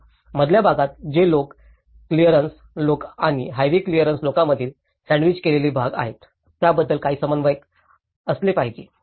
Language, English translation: Marathi, So, that is where there should be some coordination what about the middle areas which are in between, the sandwiched areas between the local clearance people and the highway clearance people